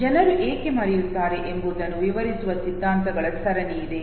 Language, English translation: Kannada, There are series of theories which explains why people forget